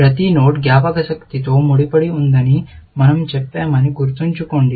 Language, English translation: Telugu, Remember that we said that every node is associated with a memory, essentially